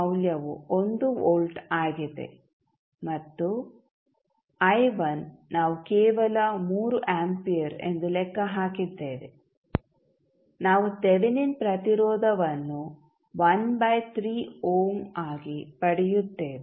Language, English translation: Kannada, V naught value is 1 volt, and I1 we have just calculated as 3 ampere we get, 1 by 3 ohm as a Thevenin resistance